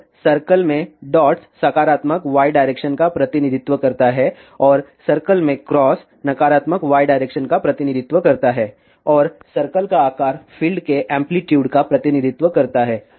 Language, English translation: Hindi, And the dots in the circle represents the positive y direction and cross in the circle represents the negative y direction and the size of the circle represent the amplitude of the fields